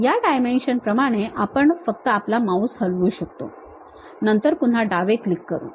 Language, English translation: Marathi, Along that dimension we can just move our mouse, then again give left click